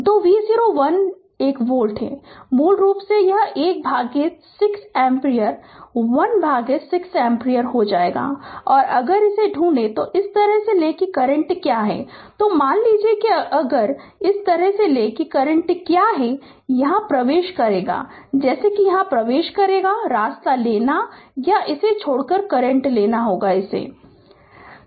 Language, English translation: Hindi, So, V 0 is 1 volt so, basically it will become 1 by 6 ampere 1 by 6 ampere right and, if you if you find and if you take this way that what is the current, suppose if I take this way that what is the current entering here like entering here, the way you take or if you take the current leaving this one